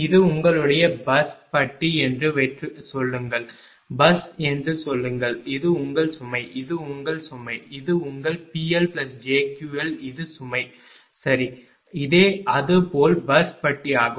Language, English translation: Tamil, Suppose this is your this is your bus bar right say bus i say this is your load this is your load, this is your P L plus j Q L this is the load right and this is same bus bar suppose generation is connected right